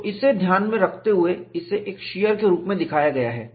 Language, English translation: Hindi, So, keeping that in mind, it is shown as a shear